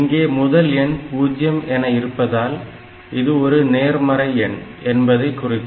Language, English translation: Tamil, And if the answer is 0, that means they are same